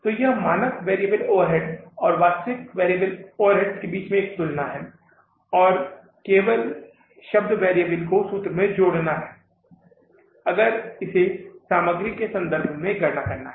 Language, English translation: Hindi, So, you see comparison between the standard variable overheads and the actual variable overheads and only word variable has to be added into the formula if it has to be calculated in relation to the material